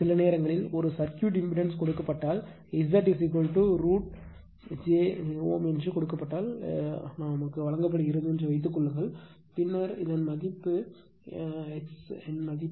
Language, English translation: Tamil, Suppose sometimes is given suppose if it is given that impedance of a circuit , suppose if it is given that Z is equal to say root j , a ohm it is given then what is the value of r what is the value of x right